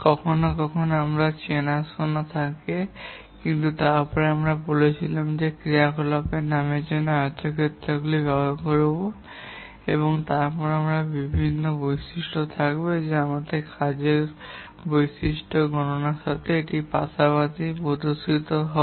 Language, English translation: Bengali, Sometimes we have circles, but then we said that we will use rectangles for activity name and then we will have various attributes that will also be indicated alongside this for our computation of the task characteristics